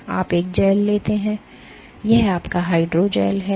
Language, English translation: Hindi, So, you take a gel, this is your hydrogel